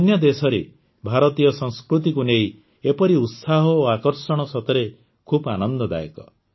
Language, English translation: Odia, Such enthusiasm and fascination for Indian culture in other countries is really heartening